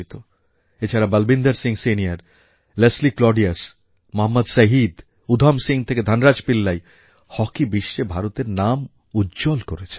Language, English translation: Bengali, Then, from Balbeer Singh Senior, Leslie Claudius, Mohammad Shahid, Udham Singh to Dhan Raj Pillai, Indian Hockey has had a very long journey